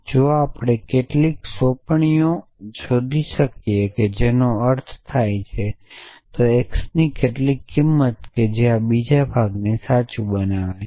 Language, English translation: Gujarati, If we can find some assignments which means some value of x which make this second part true